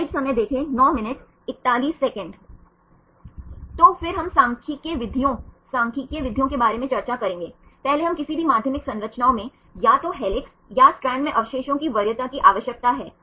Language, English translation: Hindi, So, then we will discuss about the statistical methods, the statistical methods, first we need to have the preference of residues in any secondary structures either in helix or in strand